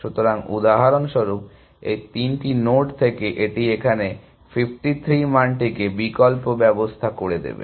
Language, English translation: Bengali, from these three nodes it will back up the value 53 here